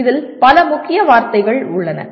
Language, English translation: Tamil, So there are several keywords in this